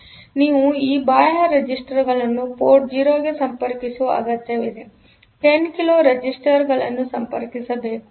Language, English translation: Kannada, So, you need to connect these external resistances to port 0; so, 10 kilo resistances are to be connected